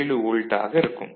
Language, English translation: Tamil, 7 volt ok